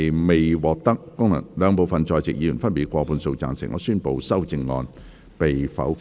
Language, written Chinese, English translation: Cantonese, 由於議題未獲得兩部分在席議員分別以過半數贊成，他於是宣布修正案被否決。, Since the question was not agreed by a majority of each of the two groups of Members present he therefore declared that the amendment was negatived